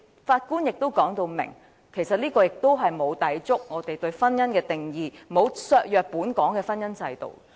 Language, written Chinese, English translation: Cantonese, 法官亦表明，這與我們對婚姻的定義並無抵觸，亦沒有削弱本港的婚姻制度。, The Judge also said that this is not in conflict with our definition of marriage; nor does this undermine the marriage institution in Hong Kong